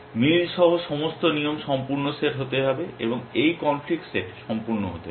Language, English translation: Bengali, All the rules with match, the complete set must be, this conflict set must be exhaustive